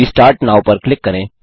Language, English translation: Hindi, Click Restart Now